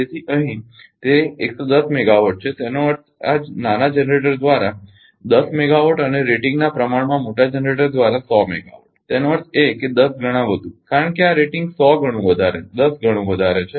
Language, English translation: Gujarati, So, here it is 110 megawatt; that means, 10 megawatt ah by smallest generator and 100 megawatt by the larger generator in proportion to the rating; that means, 10 times more because this rating is 10 times more